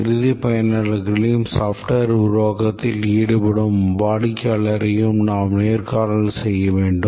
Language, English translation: Tamil, We need to interview the end users and also the customer who is trying to have the software developed